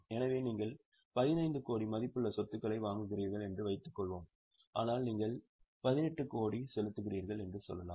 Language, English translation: Tamil, So, suppose you are acquiring assets worth 15 crore, but you are paying 18 crore, let us say